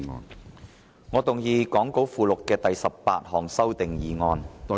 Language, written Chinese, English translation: Cantonese, 主席，我動議講稿附錄的第18項修訂議案。, President I move the 18 amending motion as set out in the Appendix to the Script